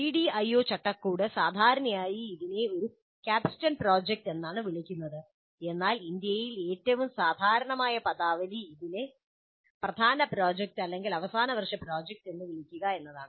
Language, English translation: Malayalam, The CDIO framework generally calls this as a capstone project, but in India the more common terminology is to simply call it as the main project or final year project